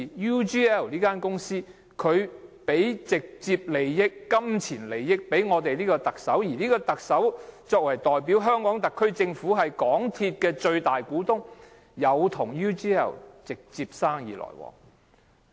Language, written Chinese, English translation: Cantonese, UGL 給予特首直接金錢利益，而特首代表香港特區政府，即港鐵公司的最大股東，與 UGL 有直接生意來往。, UGL had given direct pecuniary interests to the Chief Executive who is the representative of the HKSAR Government; the SAR Government is the biggest shareholder of MTRCL and MTRCL has direct business dealings with UGL